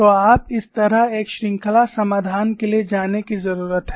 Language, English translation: Hindi, So, you need to go for a series solution like this